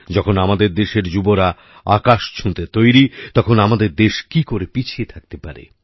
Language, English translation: Bengali, When the youth of the country is ready to touch the sky, how can our country be left behind